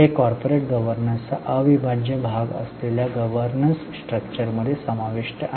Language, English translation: Marathi, That is covered in the governance structure which is integral part of corporate governance